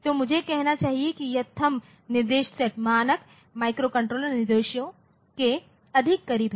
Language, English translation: Hindi, So, I should say that this THUMB instruction set is more close to the standard microcontroller instructions